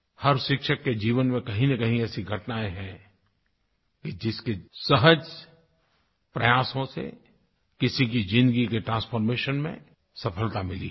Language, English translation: Hindi, In the life of every teacher, there are incidents of simple efforts that succeeded in bringing about a transformation in somebody's life